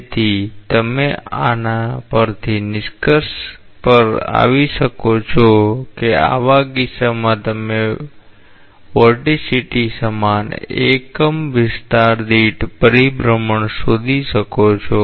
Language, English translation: Gujarati, So, you can conclude from this that in such a case, you can find out the circulation per unit area equal to vorticity